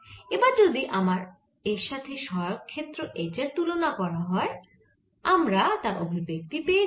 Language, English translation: Bengali, so when you relate it with the auxiliary field h, you can write down the expression for the auxiliary field